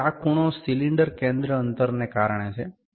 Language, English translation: Gujarati, So, this is this angle is due to the cylinder center distance